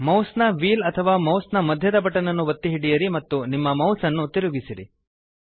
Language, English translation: Kannada, Press and hold mouse wheel or middle mouse button and move your mouse